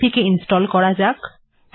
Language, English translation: Bengali, Should it install